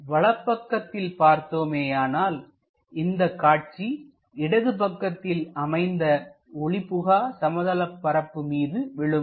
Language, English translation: Tamil, And if we are looking from right hand side,the projection on to the opaque plane comes at left side